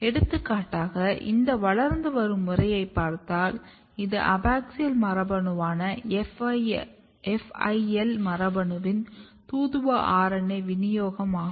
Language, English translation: Tamil, So, for example, if you look this growing pattern and this is messenger RNA distribution of FIL gene which is abaxial gene